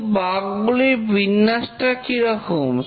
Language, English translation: Bengali, But what is the distribution of the bug